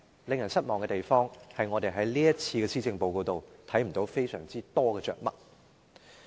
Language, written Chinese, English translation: Cantonese, 令人失望的是，我們在這份施政報告中，看不到太多着墨。, Disappointingly we did not see much coverage on this in this Policy Address